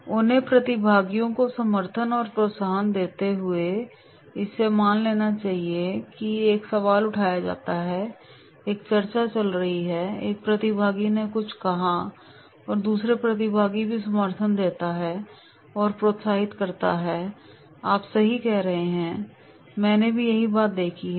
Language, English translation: Hindi, Giving support and encouragement to other participants, so therefore suppose a question is raised, a discussion is going on and one participant has said something then the other participant also give the support and encourages yes you are saying right, I also observed the same thing